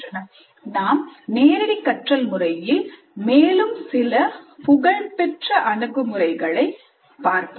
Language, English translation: Tamil, In the next three, four units, we look at some other popular approaches to the instruction